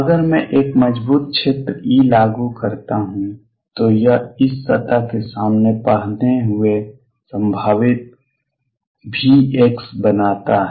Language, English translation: Hindi, If I apply a strong field e it creates a potential V x wearing in front of this surface